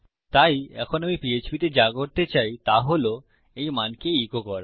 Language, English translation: Bengali, So, now what I want to do in Php is, echo out this value